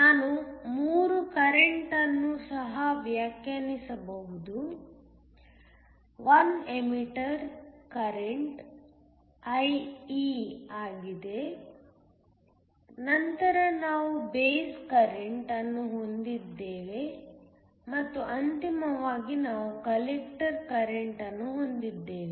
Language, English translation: Kannada, We can also define 3 currents, 1 is an emitter current IE, then you have a base current and then finally you have a collector current